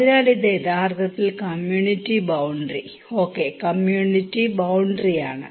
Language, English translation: Malayalam, So, this is actually the community boundary okay, community boundary